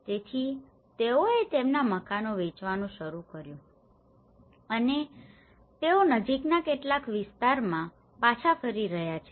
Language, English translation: Gujarati, So, they started selling their houses and they are going back to some nearby areas